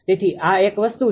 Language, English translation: Gujarati, So, this is one thing